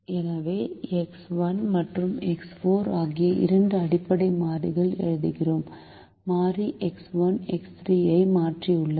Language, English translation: Tamil, so the new set of basic variables are x one and x four, because x one replaces x three